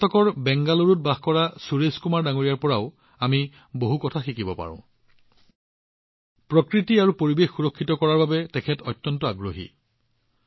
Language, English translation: Assamese, We can also learn a lot from Suresh Kumar ji, who lives in Bangaluru, Karnataka, he has a great passion for protecting nature and environment